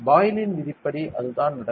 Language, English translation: Tamil, That is what according to Boyle’s law happens